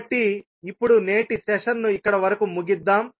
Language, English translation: Telugu, So now, we close the today's session here